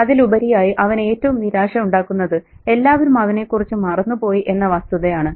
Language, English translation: Malayalam, But even more than that, the disappointment is that everybody has forgotten about him